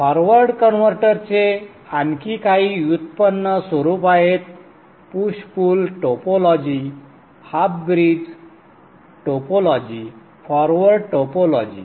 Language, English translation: Marathi, The forward converter has few more derived forms, the push pull topology, the half bridge topology and the forward topology